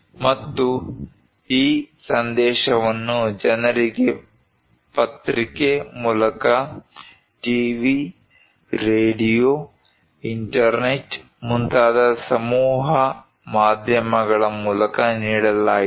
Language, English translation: Kannada, And, this message was given to the people through newspaper, through mass media like TV, radio, internet